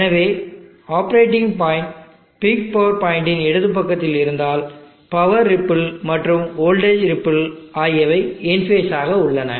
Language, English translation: Tamil, So you see that if the operating point is on the left side of the peak power point, the power ripple and the voltage ripple are in phase